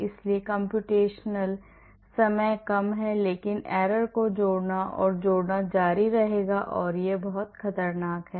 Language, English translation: Hindi, So, the computational time is less but the error will keep adding and adding and adding which is very dangerous